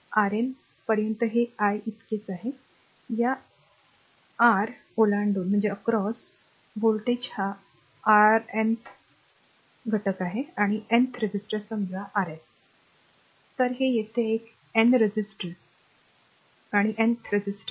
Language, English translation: Marathi, Up to Rn so, this is i so, across the across your ah what you call voltage across this your R ah this is Rnth ah your nth your ah element, right or nth resistor suppose this is your Rn, right